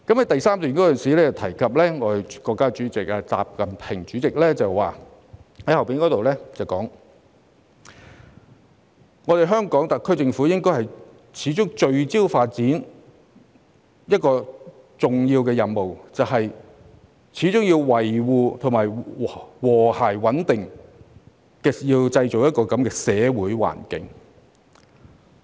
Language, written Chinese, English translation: Cantonese, 第3段提到國家主席習近平曾發表的講話，指香港特區政府應該"始終聚焦發展這個第一要務、始終維護和諧穩定的社會環境"。, The third paragraph refers to the remarks made by President XI Jinping that for the SAR Government it was imperative to always focus on development as the top priority; and it was imperative to always maintain a harmonious and stable social environment